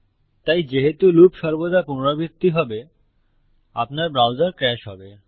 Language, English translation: Bengali, So since the loop will always be repeated, your browser will crash